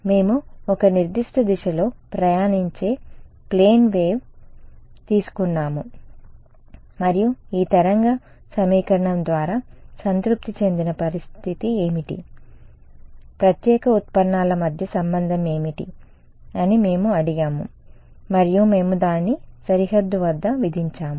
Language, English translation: Telugu, We had taken we are taken up plane wave traveling in a certain direction and we had asked what is the condition satisfied by this wave equation, what was the relation between special derivatives and we had imposed that at the boundary